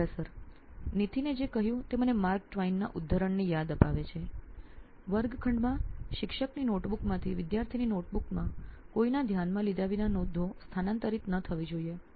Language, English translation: Gujarati, What Nithin said reminded me of Mark Twain’s quote, “that a classroom should not be a transfer of notes from the teacher’s notebook to the student’s notebook without going through the minds of either”